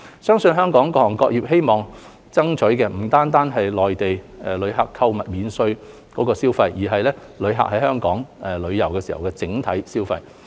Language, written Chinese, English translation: Cantonese, 相信香港各行各業希望爭取的不僅是內地旅客購買免稅貨品的消費，而是旅客在香港旅遊的整體消費。, We believe that it is the common goal of different sectors to seek the overall travel spending of tourists in Hong Kong instead of Mainland travellers spending on duty - free products only